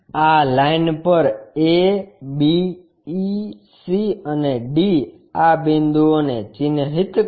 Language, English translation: Gujarati, Mark this points a, b, e, c and d on this line